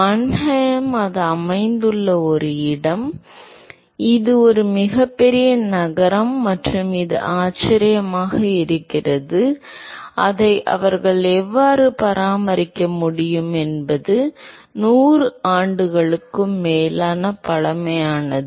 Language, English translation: Tamil, Mannheim is a place where it is located, is a very, very large city and it is amazing, how they are able to maintain it is it is more than 100 years old